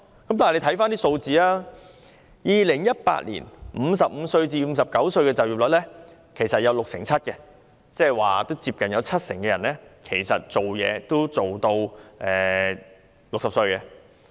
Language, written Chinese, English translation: Cantonese, 但大家看看數字 ，2018 年55至59歲人士的就業率是六成七，即接近七成人也工作至60歲。, But let us look at the figures . In 2018 the employment rate of people age between 55 and 59 was 67 % meaning that close to 70 % of these people were employed up to 60 years of age